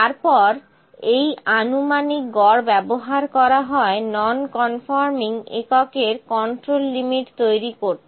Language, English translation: Bengali, Then the estimated average is then used to produce control limit for the number of non conforming units